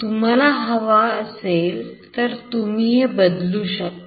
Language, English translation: Marathi, If you want to change that you can do it